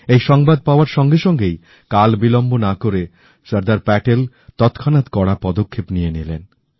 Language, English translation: Bengali, When Sardar Patel was informed of this, he wasted no time in initiating stern action